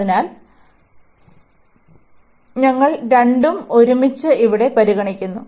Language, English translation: Malayalam, So, we considering both together here